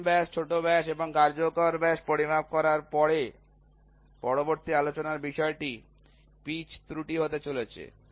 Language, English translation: Bengali, After measuring the major diameter minor diameter and the effective diameter; the next topic of discussion is going to be the pitch error